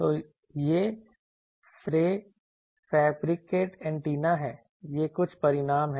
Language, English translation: Hindi, So, this is the fabricated antenna, these are some results